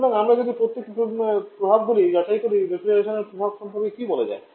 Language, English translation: Bengali, So if you check the effects now, what about the refrigeration effect